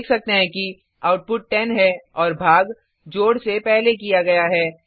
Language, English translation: Hindi, As we can see, the output is 10 and the division is done before addition